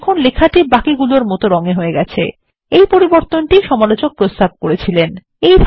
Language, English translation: Bengali, You will see that the text becomes normal which is the change suggested by the reviewer